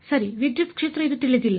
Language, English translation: Kannada, Right the electric field this is what is unknown